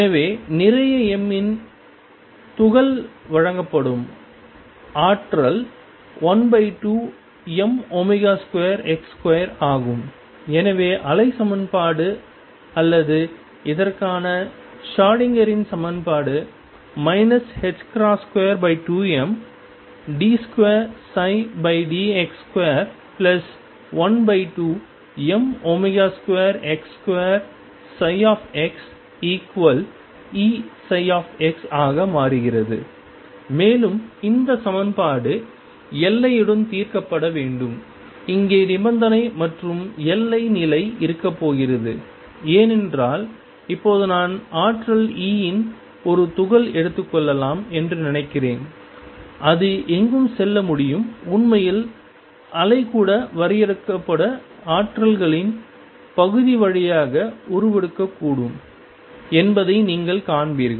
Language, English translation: Tamil, So, the potential that is given for the particle of mass m is one half m omega square x square and therefore, the wave equation or the Schrodinger’s equation for this becomes minus h cross square over 2 m d 2 psi over d x square plus 1 half m omega square x square psi x equals E psi x and this equation is to be solved with the boundary condition and boundary condition here is going to be because now suppose I take a particle of energy E; it can go anywhere and you will see actually wave can also penetrate through the region of finite potentials